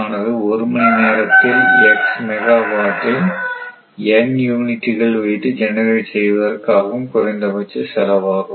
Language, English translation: Tamil, The minimum cost in rupees per hour of generating x megawatt by N units right